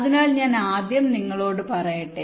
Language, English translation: Malayalam, so ah, let me just tell you first